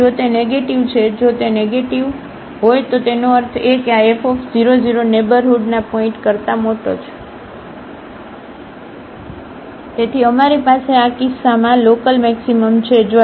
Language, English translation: Gujarati, So, if it is negative, if it is negative; that means, this f 0 0 is larger than the points in the neighborhood, so we have the local maximum at the in this case